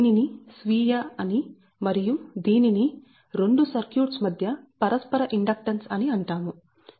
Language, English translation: Telugu, now, this one, this one, we call self and this is that mutual inductance between the two circuit